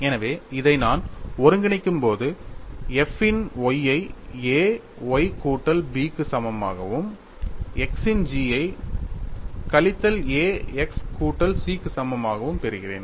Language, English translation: Tamil, So, when I integrate this, I get f of y equal to A y plus B and g of x equal to minus A x plus C and these are constants; they are constants of integration